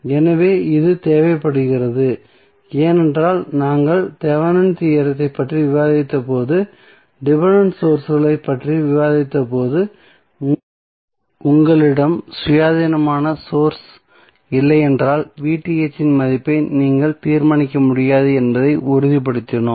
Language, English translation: Tamil, So, this is required because when we discussed the Thevenin theorem and we discussed dependent sources we stabilized that if you do not have independent source then you cannot determine the value of V Th